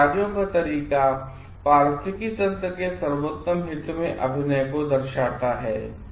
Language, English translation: Hindi, And the way of works denotes acting in the best interest of the ecosystem